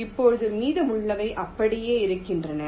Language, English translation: Tamil, now the rest remains same